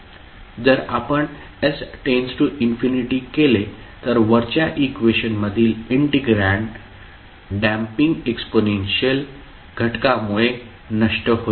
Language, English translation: Marathi, Now if we let s tends to infinity than the integrand to the above equation will vanish because of the damping exponential factor